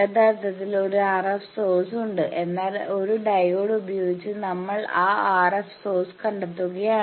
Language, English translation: Malayalam, It is the same thing actually there is an RF source, but we are detecting that RF source with a diode